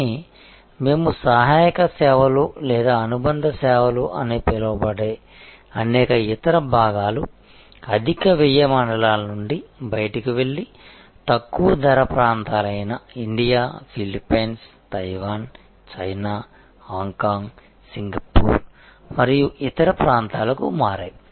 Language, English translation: Telugu, But, many of the other parts of what we call auxiliary services or supplementary services moved out of the higher cost zones and moved to lower cost areas like India, Philippines, Taiwan, China, Hong Kong, Singapore and so on